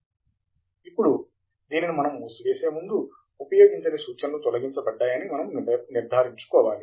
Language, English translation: Telugu, Now, before we close, what we need to ensure is that unused references are removed